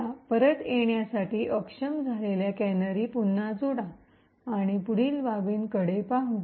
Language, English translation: Marathi, So, let us add the disable canaries again just to get things back and look at the next aspect